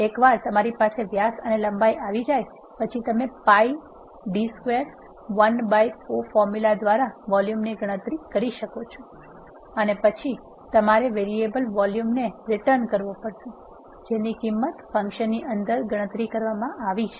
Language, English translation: Gujarati, Once you have diameter and length you can calculate the volume by the formula pi d square l by 4 then what you need to return is the volume variable that is calculated inside the function